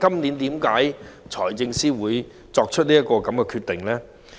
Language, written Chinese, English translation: Cantonese, 然而，為何財政司今年作出這樣的決定呢？, However why does the Financial Secretary make this decision this year?